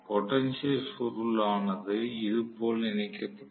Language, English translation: Tamil, So, the potential coil is connected like this